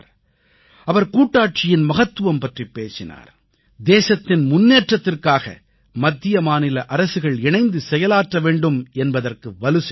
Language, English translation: Tamil, He had talked about the importance of federalism, federal system and stressed on Center and states working together for the upliftment of the country